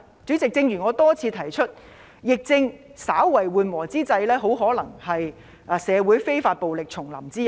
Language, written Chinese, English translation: Cantonese, 主席，正如我多次提出，疫情稍為緩和之際，很可能是社會非法暴力重臨之日。, Chairman as I have mentioned repeatedly while the epidemic is easing slightly there are signs that violence may return